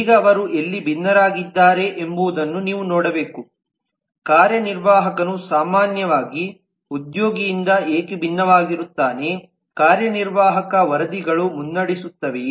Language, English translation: Kannada, now you have to look at where do they differ why does an executive differ from in general from an employee is there an executive reports to the lead